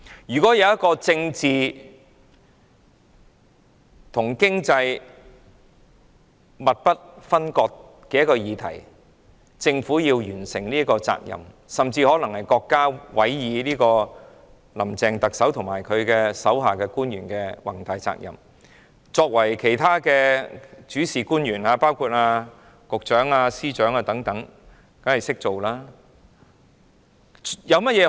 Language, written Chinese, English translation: Cantonese, 如果有一項政治和經濟密不分割的議題，而政府要完成這項任務——這甚至可能是國家委以特首"林鄭"及其手下官員的宏大任務——其他主事官員，包括局長和司長等，當然會加以配合。, If there is a political issue inseparable from the economy and the Government needs to accomplish such a mission―this may even be a lofty mission assigned by the State to Chief Executive Carrie LAM and her subordinates―other principal officials including Directors of Bureaux and Secretaries of Departments will of course make complementary efforts